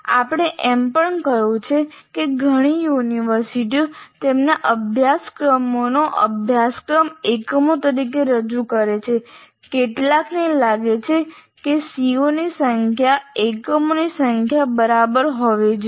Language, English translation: Gujarati, And this we have also stated, so there are as many universities present their syllabus as a course as units, some feel that the number of C O should be exactly equal to number of units